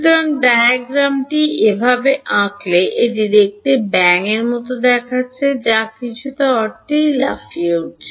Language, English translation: Bengali, So, this the way the diagram has been drawn it looks like a frog that is leaping in some sense right